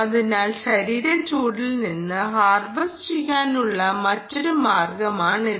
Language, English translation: Malayalam, so this is another way of harvesting from body heat